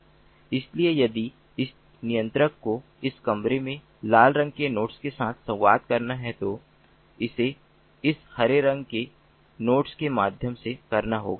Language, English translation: Hindi, so if this controller has to communicate with ah, ah, this red colored node in this particular room, then it has to do via this green color node